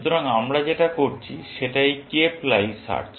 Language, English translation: Bengali, So, this is cape lie search that we are doing